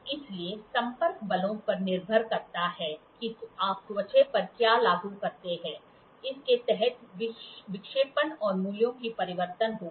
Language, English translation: Hindi, So, depending upon the contact forces, the force what you apply on the skin, there will be deflection and change in the values